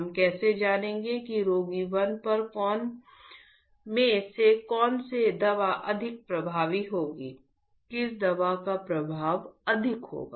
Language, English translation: Hindi, How we will know that patient 1 out of 3 which drug would be more effective, which drug has more efficacy